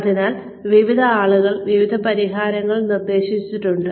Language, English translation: Malayalam, So, some solutions have been suggested, by various people